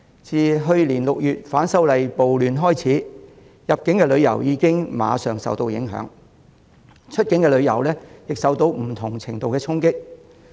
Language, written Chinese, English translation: Cantonese, 自去年6月反修例暴亂開始，入境旅遊已經即時受到影響，而出境旅遊亦受到不同程度的衝擊。, Since the riots arising from the opposition to the proposed legislative amendments in June last year inbound tourism has taken an immediate hit and outbound tourism has also felt impacts of varied degrees